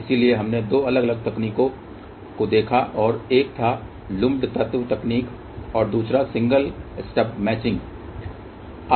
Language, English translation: Hindi, So, we looked into two different techniques one was lumped element technique and the second one was single step matching